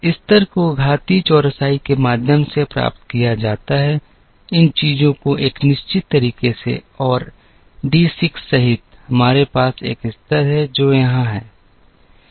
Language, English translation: Hindi, The level is obtained by through exponential smoothing considering, these things in a certain manner up to and including D 6, we have a level, which is here